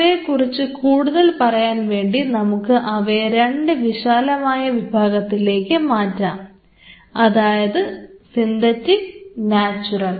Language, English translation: Malayalam, Let us classify them as we are mentioning into 2 broad categories; Synthetic and Natural